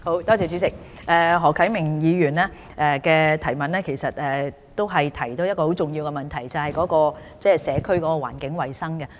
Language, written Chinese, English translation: Cantonese, 主席，何啟明議員提出了一個很重要的問題，就是社區環境衞生。, President Mr HO Kai - ming has raised a very important question about environmental hygiene at local communities